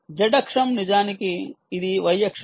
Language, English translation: Telugu, actually, this is y axis